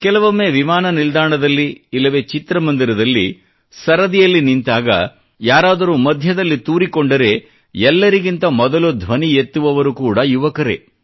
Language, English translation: Kannada, There are times when we see them at an airport or a cinema theatre; if someone tries to break a queue, the first to react vociferously are these young people